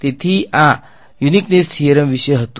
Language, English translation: Gujarati, So, this was about the uniqueness theorem